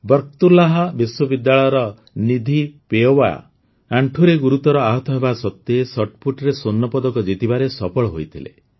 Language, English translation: Odia, Nidhi Pawaiya of Barkatullah University managed to win a Gold Medal in Shotput despite a serious knee injury